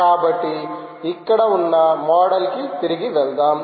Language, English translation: Telugu, so lets go back to the model here